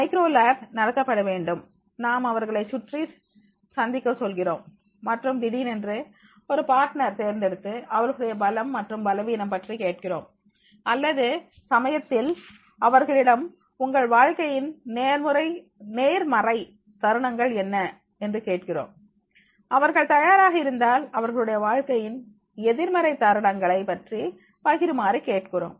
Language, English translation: Tamil, Micro lab is to be conducted that that is the how we ask them to meal around and then suddenly choose a partner and ask the strength and weaknesses or sometimes we ask them the positive moments of your life and if they are ready then ask them to share the negative moments of the life